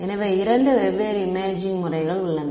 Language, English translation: Tamil, So, there are two different imaging modalities right